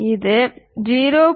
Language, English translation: Tamil, If it is 0